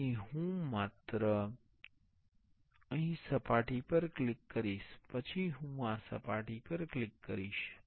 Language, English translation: Gujarati, So, I will just click here on the surface, then I will click on the surface